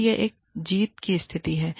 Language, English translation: Hindi, So, it is a win win situation